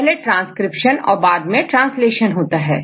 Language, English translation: Hindi, One is a transcription, another is the translation right